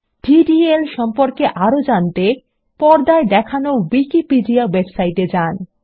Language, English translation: Bengali, To know more about DDL visit the Wikipedia website shown on the screen